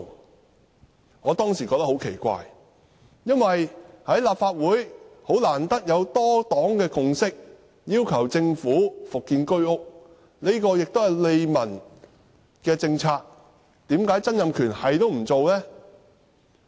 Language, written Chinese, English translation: Cantonese, 那時候我也覺得很奇怪，因為難得立法會有多黨共識，要求政府復建居屋，這也是利民的政策，為何曾蔭權沒有那樣做？, I considered this situation pretty odd back then because rarely was there a multi - party consensus in the Council for resumption of constructing HOS flats which was also a policy conducive to peoples well - being but why did Donald TSANG pay no attention?